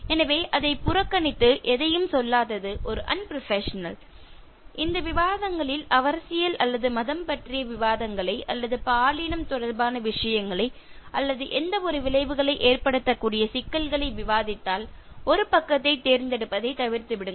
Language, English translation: Tamil, So, ignoring it and not saying anything is unbecoming of a professional and in case in these discussions there are discussions on politics or religion, or things related to gender or any sensitive issues avoid taking sides